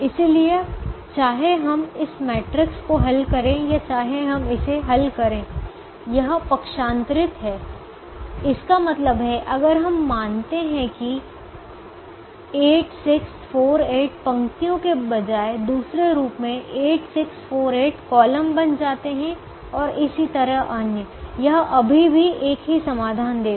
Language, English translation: Hindi, so whether we solve this matrix or whether we solve its transpose, it means if we assume that instead of eight, six, four, eight as rows, eight, six, four, eight becomes the columns, and so on, it would still give the same solution